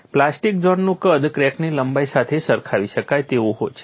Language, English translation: Gujarati, The plastic zone size is comparable to length of the crack